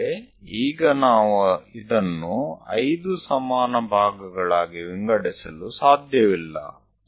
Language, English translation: Kannada, So, here we have divided into 5 equal parts and also 5 equal parts